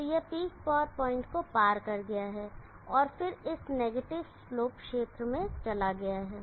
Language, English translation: Hindi, So it has crossed the peak power point and then gone into this negative slope region